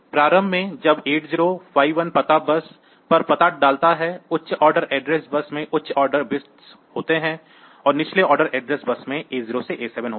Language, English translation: Hindi, So, in the initially when 8051 puts the address onto the address bus; the higher order address bus contains the higher order bits, lower order address bus contains the bits A 0 to A 7